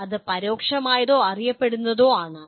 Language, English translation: Malayalam, That is either implicit or known